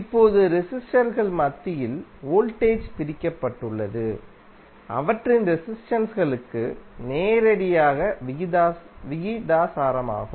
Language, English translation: Tamil, Now, the voltage is divided among the resistors is directly proportional to their resistances